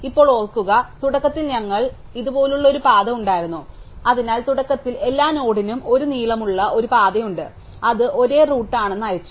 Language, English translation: Malayalam, Now, remember initially we had a path for u which looks like this, so initially every node has a path of length 1 to itself saying that it is its own root